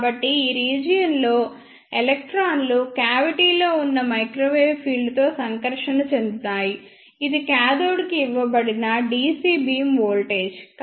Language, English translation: Telugu, So, in this ah region electrons will be interacted with the microwave field present there in the cavity this is the dc beam voltage which is given to the cathode